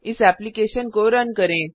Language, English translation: Hindi, Run this application